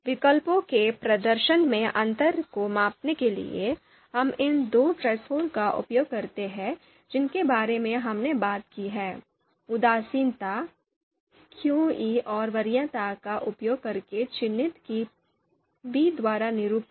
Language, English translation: Hindi, Now to measure the difference in the performance of alternatives, so we use these two thresholds that we have talked about indifference that is we are denoting using qi and preference we are denoting it by pi small pi threshold